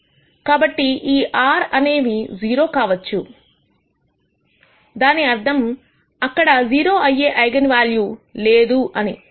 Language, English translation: Telugu, So, this r could be 0 also; that means, there is no eigenvalue which is zero